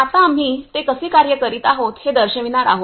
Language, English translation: Marathi, Now we are going to show you how it actually working